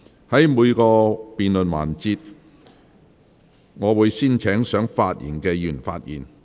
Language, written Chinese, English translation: Cantonese, 在每個辯論環節，我會先請想發言的議員發言。, In each debate session I will first call upon those Members who wish to speak to speak